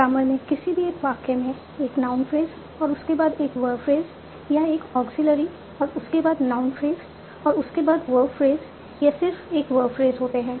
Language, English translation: Hindi, So you have in the grammar it is said that a sentence can be a non phrase followed by a verb phrase or an auxiliary followed by a non fetched followed by a word phrase or a single word phrase